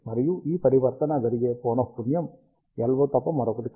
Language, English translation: Telugu, And the frequency at which this transition happens is nothing but the LO frequency